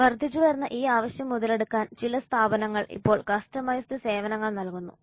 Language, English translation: Malayalam, To cash in on this increased demand, some firms are now providing customized services